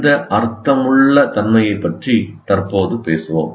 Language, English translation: Tamil, We'll talk about this meaningfulness presently